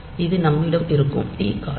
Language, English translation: Tamil, So, this is the time period t that we have